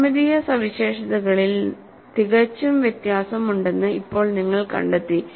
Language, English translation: Malayalam, Now, you find there is quite a variation in the geometric features